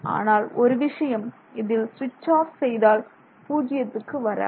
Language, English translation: Tamil, Only thing is when you switch off it will not drop to zero